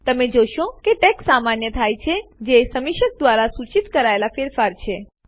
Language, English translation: Gujarati, You will see that the text becomes normal which is the change suggested by the reviewer